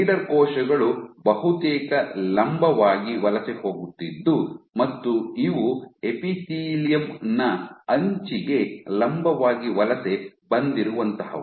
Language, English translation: Kannada, So, leader cells were migrating almost perpendicular these are my leader cells and they migrated they were perpendicular to the edge of the epithelium